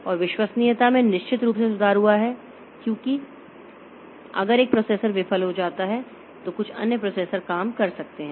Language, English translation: Hindi, And reliability is improved definitely because if one processor fails some other processor can take take up the job